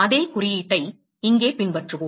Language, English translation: Tamil, And we will follow the same notation here